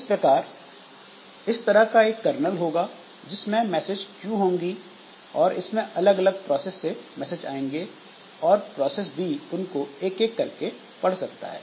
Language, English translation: Hindi, So, this kernel, so we can you can have a message Q that has got all the messages coming from different processes and process B can read that message Q one by one